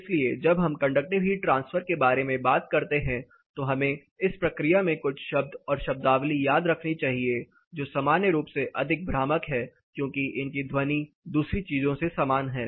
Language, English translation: Hindi, So, when we talk about conductive heat transfer we have to in the process remember few terms and terminology which are in field commonly more confusing because this sound similar